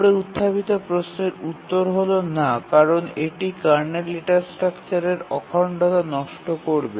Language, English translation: Bengali, The answer is no because that will destroy the integrity of the kernel data structures